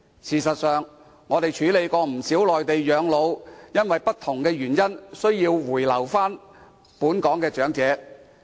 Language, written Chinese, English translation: Cantonese, 事實上，我們曾處理不少原本在內地養老，卻因不同原因而需回本港的長者。, Actually we have handled a number of cases concerning elderly persons retiring in the Mainland originally but coming back to Hong Kong later due to different reasons